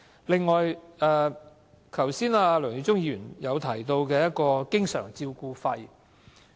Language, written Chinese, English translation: Cantonese, 另外，剛才梁耀忠議員提到經常照顧費。, Just now Mr LEUNG Yiu - chung also talked about the constant attendance allowance